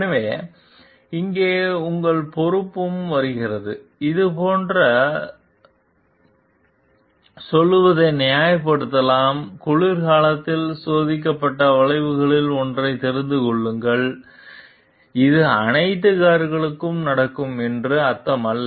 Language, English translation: Tamil, So, where comes your responsibility also you can justify telling like this has been observed in like know one of the curves which was winter tested this does not mean like this will happen to all the cars